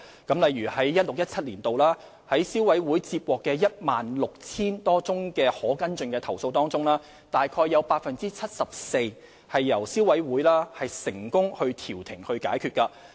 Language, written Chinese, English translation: Cantonese, 舉例而言，在消委會於 2016-2017 年度接獲的 16,000 多宗可跟進的投訴中，約有 74% 由消委會成功調停解決。, For instance of the 16 000 - odd complaints with pursuable groundsreceived by the Consumer Council in 2016 - 2017 about 74 % were resolved by the Consumer Council through conciliation